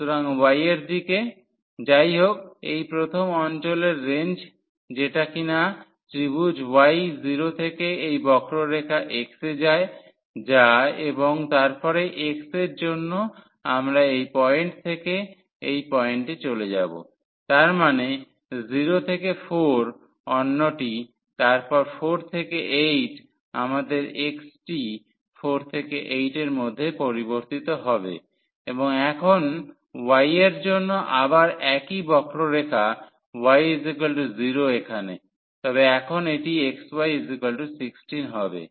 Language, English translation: Bengali, So, in the direction of y; however, ranges for this first region which is this triangle y goes from 0 to this curve which is x and then for x we will move from this point to this point; that means, 0 to 4 the another one then 4 to 8 our x will vary from 4 to 8 and now for the y its again the same curve y is equal to 0 here, but now there it is x y is equal to 16